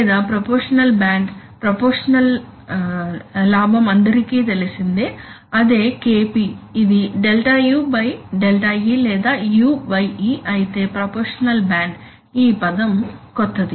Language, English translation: Telugu, Or proportional band, proportional gain is well known it is KP which is Δ u / Δ e or u/e while proportional band, this term is new